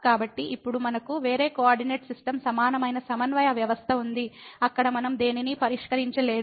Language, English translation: Telugu, So, now, we have a different coordinate system equivalent coordinate system where we have not fixed anything